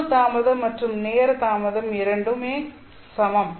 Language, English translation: Tamil, So group delay and time delay are equal